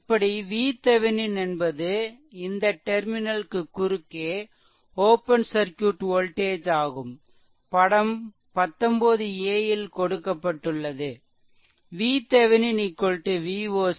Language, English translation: Tamil, Similarly, thus V Thevenin is the open circuit voltage across the terminal as shown in figure 19 a; that is V Thevenin is equal to V oc right